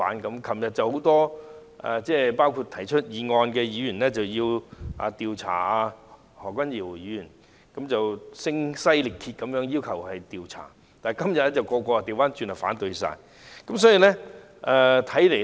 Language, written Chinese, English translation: Cantonese, 昨天很多議員，包括動議議案的議員要求調查何君堯議員，而且是聲嘶力竭地要求調查，但他們今天卻反過來反對進行調查。, Yesterday many Members including the Member who moved the motions called for an investigation into Dr Junius HO and they shouted themselves hoarse to make that demand . Yet today they conversely oppose to an investigation